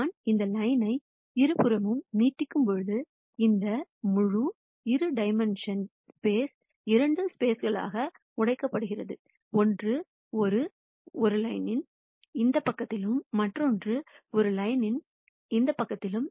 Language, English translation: Tamil, You see when I extend this line all the way on both sides, then this whole two dimensional space is broken into two spaces, one on this side of a line and the other one on this side of a line